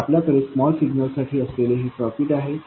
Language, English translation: Marathi, So this is all the circuit we will have in the small signal